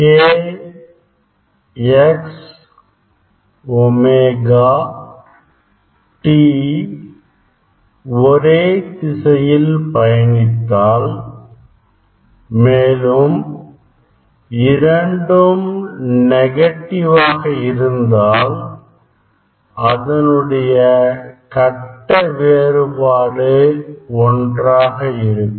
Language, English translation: Tamil, k x omega t k x omega t, they are travelling same direction, so both are having negative sign